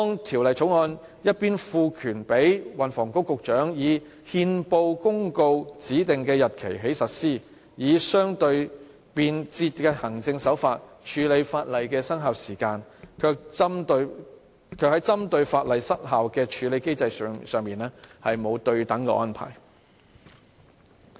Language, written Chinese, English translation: Cantonese, 《條例草案》一方面賦權運輸及房屋局局長"以憲報公告指定的日期起實施[有關條例]"，以相對便捷的行政手法處理法例的生效時間，但另一方面，卻沒有針對法例失效的處理機制作出對等安排。, The Bill states [The] Ordinance comes into operation on a day to be appointed by the Secretary for Transport and Housing by notice published in the Gazette . This provides for quite a simple and convenient administrative procedure to deal with the commencement date of the legislation . But then there is no mechanism for handling the opposite case the case where the legislation ceases to be effective